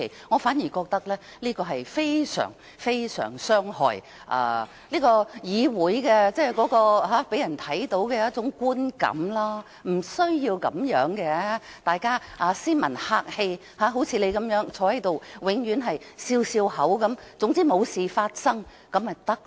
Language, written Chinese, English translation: Cantonese, 我反而覺得這是非常非常傷害議會予人的觀感，並不需要這樣，大家斯文客氣，好像代理主席永遠微笑坐着，總之沒有事情發生便行。, I think this will do a lot of harm to the image of the Council . They need not feel so . We are all civilized and polite just like Deputy President who always sits there with a smile and monitors the progress of Council businesses